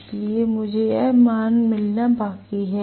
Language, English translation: Hindi, So, I am yet to get this value